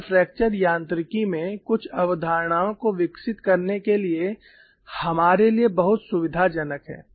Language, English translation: Hindi, You know this is something unusual, this is so convenient for us to develop certain concepts in fracture mechanics